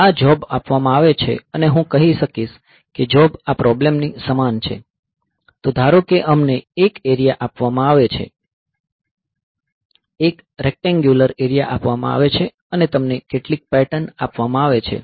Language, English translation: Gujarati, So, given this job, so if in some sense I can say that the job is similar to problem like this, that suppose we are you are given an area, a rectangular area is given, and you are given some patterns